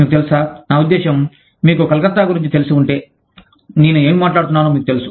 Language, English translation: Telugu, You know, i mean, if you are familiar with Calcutta, you know, what i am talking about